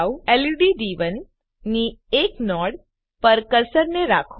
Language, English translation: Gujarati, Keep the cursor over one of the nodes of LED D1